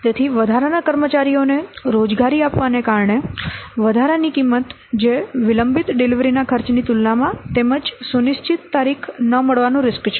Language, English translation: Gujarati, So, the additional cost due to employing extra staff that has to be compared to the cost of delayed delivery as well as the increased risk of not meeting the schedule date